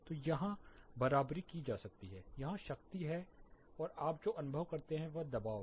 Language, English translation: Hindi, So, this can be equated here, there is power here and what you perceive is pressure